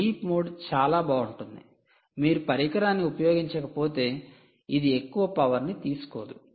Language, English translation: Telugu, sleep mode is quite nice because if you are not using it it is, ah, not going to consume much